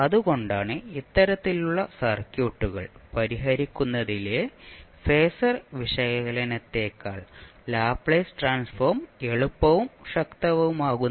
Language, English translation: Malayalam, So that is why the Laplace transform is more easier and more powerful than the phasor analysis in solving these type of circuits